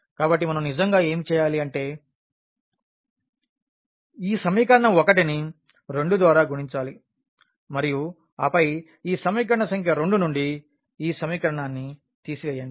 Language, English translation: Telugu, So, what we are supposed to do actually that if you multiply this equation 1 by 2 and then subtract this equation from this equation number 2